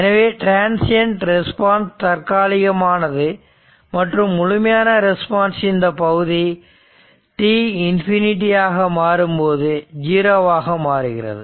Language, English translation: Tamil, So, transient response is the temporary and it is the portion of the complete response that is your that your, what you call that decays to 0 as t tends to infinity